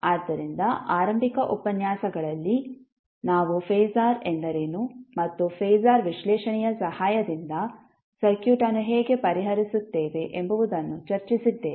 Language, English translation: Kannada, So, in the initial lectures we discussed what is phasor and how we will solve the circuit with the help of phasor analysis